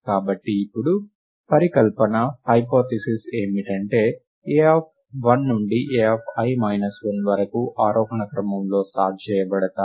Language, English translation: Telugu, So the hypothesis now is that a of 1 to a of i minus 1 are sorted in ascending order